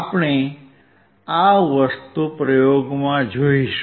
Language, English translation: Gujarati, We will see this thing in the experiment